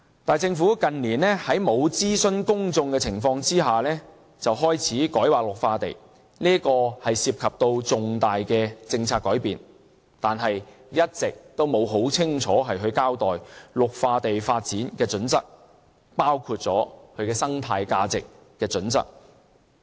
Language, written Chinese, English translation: Cantonese, 但是，政府近年在沒有諮詢公眾的情況下開始改劃綠化地，這涉及重大的政策改變，而政府一直也沒有很清楚交代綠化地發展的準則，包括生態價值的準則。, Nevertheless in recent years the Government started rezoning green belts without any public consultation . Even though this involves major policy changes the Government has not been giving a clear explanation on the criteria for green belt development including the criteria related to ecological values